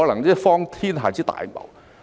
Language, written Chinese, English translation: Cantonese, 真是荒天下之大謬。, It is utterly ridiculous